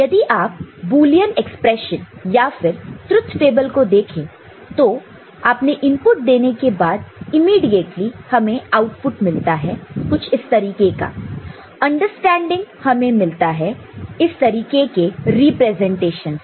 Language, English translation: Hindi, Like if you look at the Boolean expression or the truth table; you have given input, immediately you are getting output that is the kind of, you know, understanding one may have from this kind of representation